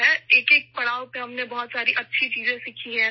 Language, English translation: Urdu, We have learnt very good things at each stage